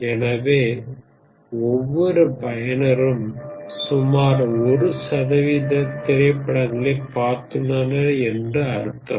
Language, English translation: Tamil, So each user has seen about a percent of the movies